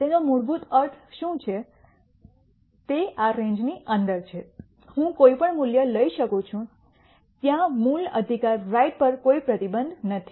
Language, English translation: Gujarati, What it basically means is within this range I can take any value there is no restriction on the value right X